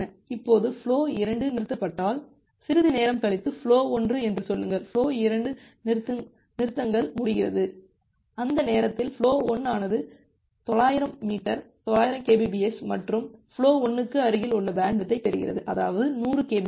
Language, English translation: Tamil, Now, after some time if flow 2 stops, then flow 1 say flow 2 gets stops, flow 2 flow 2 finishes, at that time flow 1 will get the bandwidth which is close to 900 m, 900 kbps and flow 1 is utilizing some 100 kbps